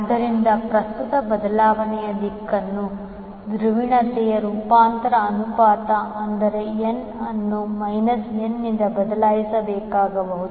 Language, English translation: Kannada, So, if the polarity of the direction of the current changes, the transformation ratio, that is n may need to be replaced by minus n